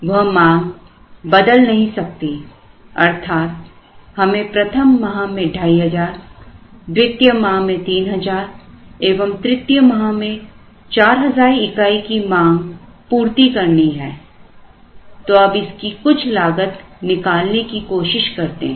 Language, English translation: Hindi, These demand cannot be changed, so we have to meet this 2500 in month one, 3,000 in month two and 4,000 in month three and let us try and workout some costs for this and see what we do